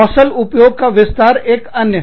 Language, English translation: Hindi, Range of skill application is another one